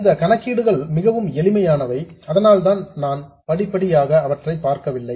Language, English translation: Tamil, These calculations are quite simple so that's why I'm not going through them step by step